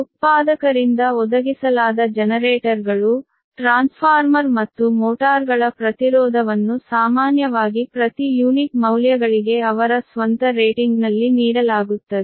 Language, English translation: Kannada, so the impedance of generators, transformer and motors supplied by the manufacturer are generally give him per unit values on their own rating